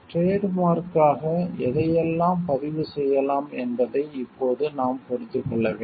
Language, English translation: Tamil, Now we have to understand what all can be registered as a trademark